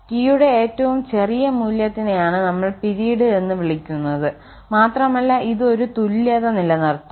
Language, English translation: Malayalam, And the smallest value of t this capital T which we are calling period for which this equality holds